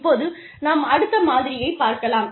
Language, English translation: Tamil, Now, the other model, that we can use